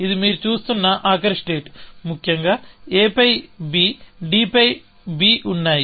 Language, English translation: Telugu, So, this is a final state that you are looking at; a is on b and b is on d, essentially